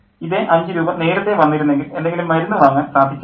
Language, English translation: Malayalam, If the same five rupees had come earlier, there might have been some medicine